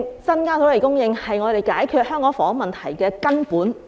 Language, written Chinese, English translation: Cantonese, 增加土地供應是我們解決香港房屋問題的根本。, Increasing land supply is the fundamental solution to the housing problems in Hong Kong